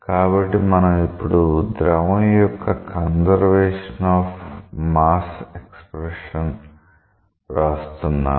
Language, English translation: Telugu, So, we will now write conservation of mass for fluid